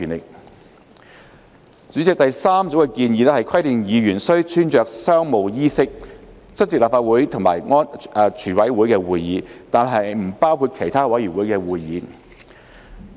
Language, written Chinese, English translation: Cantonese, 代理主席，第三組建議規定議員須穿着商務衣飾出席立法會及全委會會議，但不包括其他委員會會議。, Deputy President the third group of proposals provides that Members attending Council and CoWC meetings excluding other committee meetings shall dress in business attire